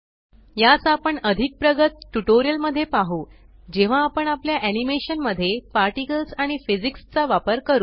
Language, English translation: Marathi, These shall be covered in more advanced tutorials when we use Particles and Physics in our animation